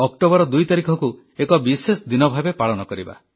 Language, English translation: Odia, Let us celebrate 2nd October as a special day